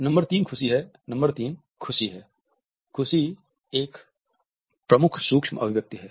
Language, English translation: Hindi, Number 3 is happiness; happiness is a great micro expression nerine